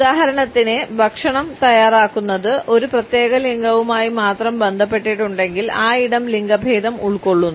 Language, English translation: Malayalam, For example, if the preparation of food is linked with a particular gender the space is also occupied by that gender only